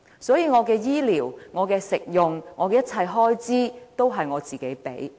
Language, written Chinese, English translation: Cantonese, 所以，我的醫療、食用和一切開支也由我自己支付。, As a result my health care living and other expenses are paid by myself